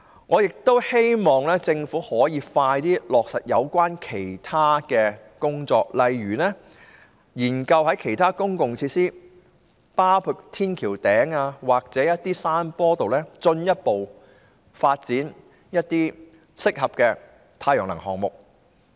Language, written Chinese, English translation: Cantonese, 我也希望政府盡快落實其他有關工作，例如研究在其他公共設施，包括天橋頂或山坡上，進一步發展適合的太陽能項目。, I also hope that the Government implements other relevant tasks as soon as possible such as looking into further development of suitable solar power projects on other public facilities including on top of flyovers or on hillsides